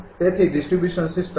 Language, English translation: Gujarati, So, the distribution system